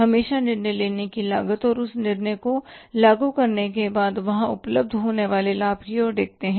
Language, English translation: Hindi, Always we look at the cost of making a decision and the benefit available or expected to be there after implementing that decision